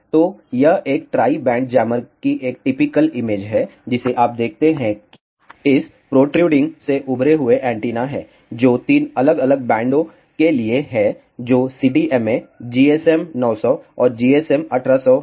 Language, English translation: Hindi, So, this is a typical image of a tri band jammer what you see protrading from this rectangle are the antennas, which are for 3 different bands which is CDMA GSM 900 and GSM 1800